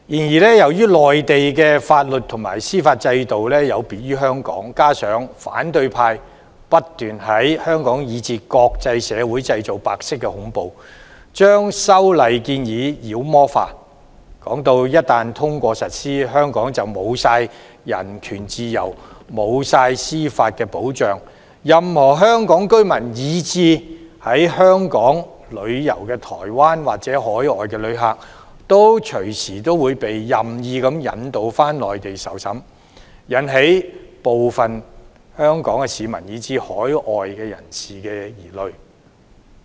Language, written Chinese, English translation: Cantonese, 然而，由於內地的法律和司法制度有別於香港，加上反對派不斷在香港以至國際社會製造白色恐怖，將修例建議妖魔化，說一旦通過實施，香港便會失去人權自由、司法保障，任何香港居民，以至在香港旅遊的台灣或海外旅客隨時會被任意引渡到內地受審，引起部分香港市民，以至海外人士的疑慮。, However owing to the different legal and judicial systems of the Mainland and Hong Kong coupled with the white terror incessantly created by the opposition camp in Hong Kong and even in the international community the legislative amendment proposal has been demonized . The opposition camp claims that once the amended legislation takes effect Hong Kong people will lose their human rights freedom and judicial protection; Hong Kong residents and even visitors from Taiwan or overseas countries to Hong Kong may arbitrarily be extradited to the Mainland for trial resulting in suspicion and worries among some Hong Kong people and even people from overseas